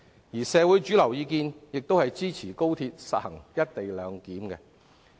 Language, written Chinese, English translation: Cantonese, 而社會主流意見亦支持高鐵實行"一地兩檢"。, Mainstream opinion in the community also supports adopting the co - location arrangement at XRL